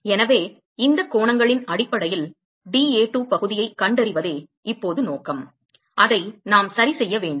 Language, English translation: Tamil, So, the objective is now is to find the area dA2 in terms of these angles that is what we to do ok